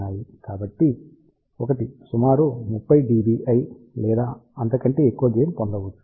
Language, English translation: Telugu, So, 1 can obtain gain of around thirty dBi also